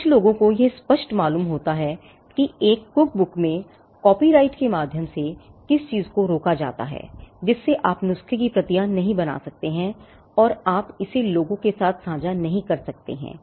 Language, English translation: Hindi, Now, some people find it counterintuitive that in a cookbook what is prevented by way of a copyright is making multiple copies of the recipe you cannot make copies of the recipe and you cannot share it with people